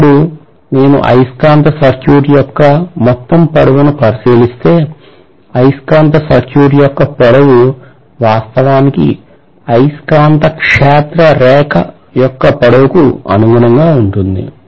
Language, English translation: Telugu, Now if I look at the overall length of the magnetic circuit, the length of the magnetic circuit actually corresponds to what is the length of the magnetic field line